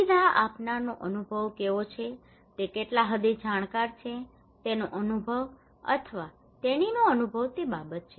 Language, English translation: Gujarati, What is the experience of the facilitator what extent he is knowledgeable skilful his experience or her experience that matter